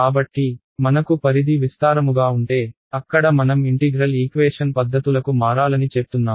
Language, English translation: Telugu, So, if I have propagation over long distances, over there I say I should switch to integral equation methods